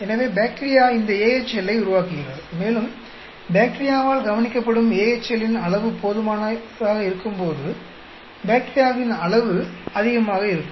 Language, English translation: Tamil, So, bacteria produce this AHL, and when there is sufficient amount of AHL that is observed by the bacteria, they know that the amount of bacterial is high